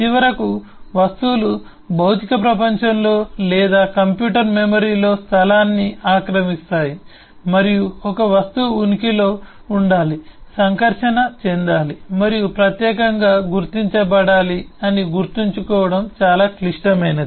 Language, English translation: Telugu, so, finally, the objects occupies space, either in the physical world or the computer memory, and it is very critical to keep in mind that an object must exist, must interact and must be distinguishable